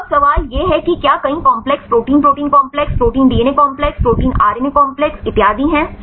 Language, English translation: Hindi, So, now the question is if there are several complexes protein protein complexes, protein DNA complexes, protein RNA complexes and so on